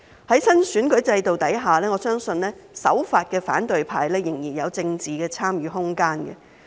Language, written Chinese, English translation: Cantonese, 在新選舉制度下，我相信守法的反對派仍然有參與政治的空間。, Under the new electoral system I believe there is still room for the law - abiding opposition to participate in politics